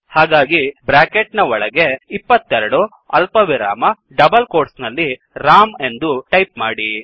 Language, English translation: Kannada, So within parentheses type 22 comma in double quotes Ram